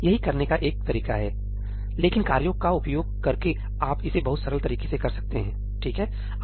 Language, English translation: Hindi, That is one way of doing it, but using tasks you can do it in a much much simpler way